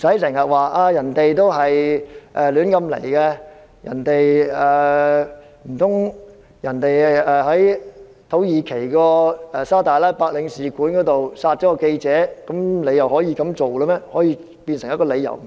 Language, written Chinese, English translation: Cantonese, 難道一名記者在土耳其沙特阿拉伯領事館被殺，你便認為他們有理由這樣做？, Do Honourable colleagues think that there are justifications for killing a journalist inside the Saudi consulate in Turkey?